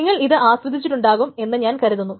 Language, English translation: Malayalam, So I hope all of you have enjoyed this course